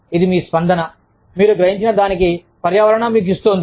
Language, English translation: Telugu, It is your response, to what you perceive, the environment is giving you